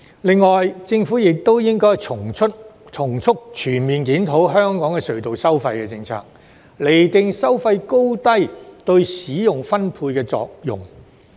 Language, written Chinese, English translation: Cantonese, 另外，政府亦應該從速全面檢討香港的隧道收費政策，釐定收費高低對使用分配的作用。, In addition the Government should expeditiously conduct a comprehensive review on the tunnel poll policy of Hong Kong to gauge the effect of different toll levels on the rationalization of tunnel usage